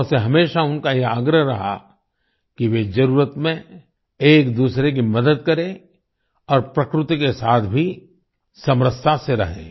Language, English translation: Hindi, She always urged people to help each other in need and also live in harmony with nature